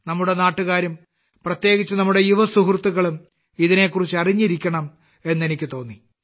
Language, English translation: Malayalam, I felt that our countrymen and especially our young friends must know about this